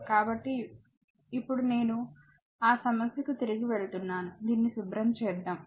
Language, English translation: Telugu, So, now I am going back to that problem, let me clean this